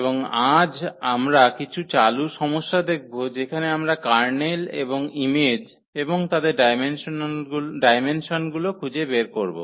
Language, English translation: Bengali, And today, we will see some worked problems where we will find out the Kernel and the image and their dimensions